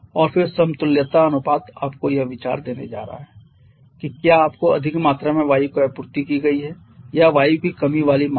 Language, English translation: Hindi, And then the equivalence ratio is going to give you the idea that however there you have been supplied with excess quantity of air or a deficient amount of air